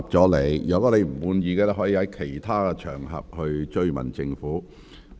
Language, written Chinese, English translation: Cantonese, 你如不滿意，可在其他場合跟進。, If you are not satisfied you can follow up on other occasions